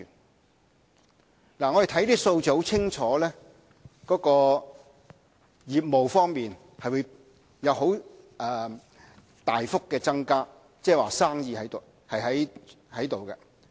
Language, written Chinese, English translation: Cantonese, 我們看看這些數字，很明顯，相關業務方面將會有大幅增加，即是說生意是存在的。, We can see from these figures that apparently there will be sizeable growth in the related industries . In other words the business is there